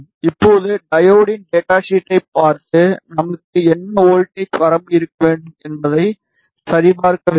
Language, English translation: Tamil, Now, it is worth looking at the data sheet of the diode to check what voltage range we should have